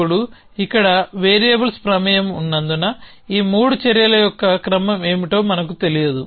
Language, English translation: Telugu, Now, because there are variables involved here, because of fact that we do not know what is ordering of these 3 actions